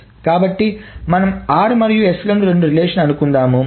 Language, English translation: Telugu, So we are assuming it's R and S are the two relations